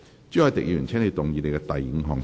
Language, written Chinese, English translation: Cantonese, 朱凱廸議員，請動議你的第五項修正案。, Mr CHU Hoi - dick you may move your fifth amendment